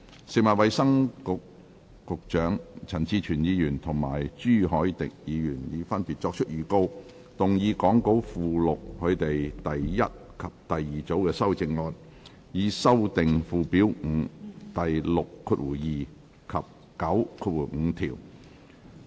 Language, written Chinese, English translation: Cantonese, 食物及衞生局局長、陳志全議員及朱凱廸議員已分別作出預告，動議講稿附錄他們的第一組及第二組修正案，以修正附表5第62及95條。, The Secretary for Food and Health Mr CHAN Chi - chuen and Mr CHU Hoi - dick have respectively given notices to move their first and second groups of amendments to amend sections 62 and 95 of Schedule 5 as set out in the Appendix to the Script